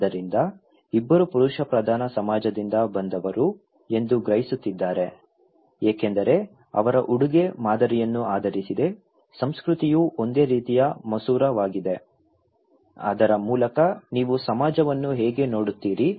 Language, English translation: Kannada, So, both of them is perceiving that they are coming from a male dominated society because based on their dress pattern, okay so, culture is a kind of lens through which you look into the society how it is okay